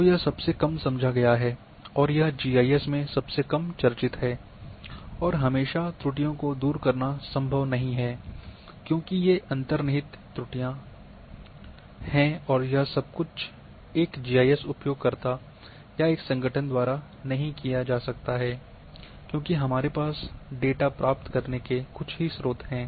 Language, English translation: Hindi, So, that is the least understood and least discuss part of GIS always it is not possible to remove errors,because there are inherent errors everything cannot be done by a single GIS users or a one organization we have to get the data from some organization some sources